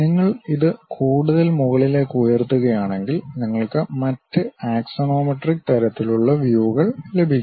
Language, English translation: Malayalam, If you lift it further up, you will have it other axonometric kind of views